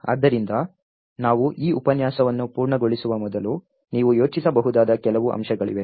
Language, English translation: Kannada, So, before we complete this lecture there is some points that you can think about